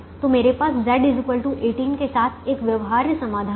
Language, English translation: Hindi, so i have a feasible solution with z equal to eighteen